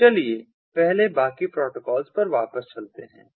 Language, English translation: Hindi, so let us go back to the rest protocol first